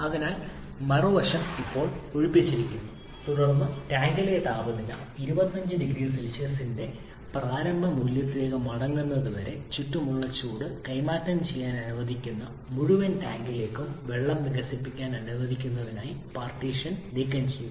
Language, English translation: Malayalam, So the other side is evacuated now then the partition has been removed to allow water to expand into the entire tank that water is allowed to exchange heat to the surrounding until temperature in the tank returns to the initial value of 25 degrees Celsius